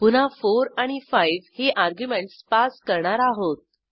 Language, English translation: Marathi, Again we pass arguments as 4 and 5